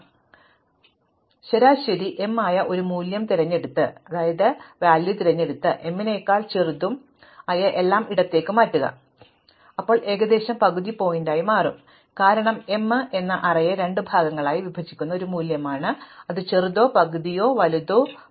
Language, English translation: Malayalam, So, assuming we can do this, pick a value m which is the median and shift everything smaller than m to the left, then this is roughly going to be the half point, because m is a value which splits the array into two parts, those which are smaller are half and those bigger are half